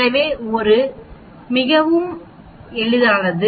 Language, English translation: Tamil, So, it is quite simple